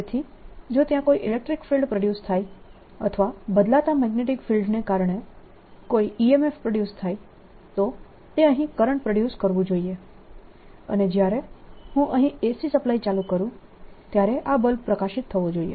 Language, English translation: Gujarati, so if there is an electric field produce or there is an e m f produced due to changing magnetic field, it should produce a current here and this bulb should light up when i turn the a c on